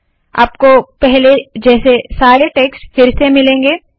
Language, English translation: Hindi, It goes through and you get all the text as before